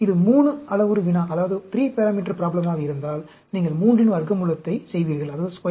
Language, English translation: Tamil, So, if it is a 3 parameter problem, you will do square root of 3; that is 1